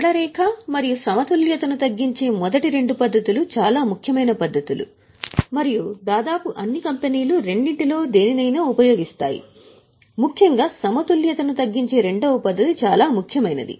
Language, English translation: Telugu, The first two methods that is straight line and reducing balance are the most important methods and almost all companies use any one of the two, particularly the second method that is reducing balance is most important